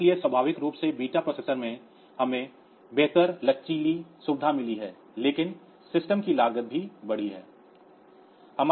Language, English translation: Hindi, So, naturally the beta processors we have got better flexibly facilities, but the cost of the system will also go up